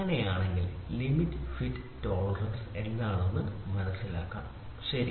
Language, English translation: Malayalam, So, if that is the case, we are supposed to understand what is limits fits and tolerance, ok